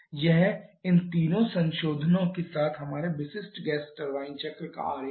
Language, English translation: Hindi, This is a diagram of our typical gas turbine cycle with all these 3 modification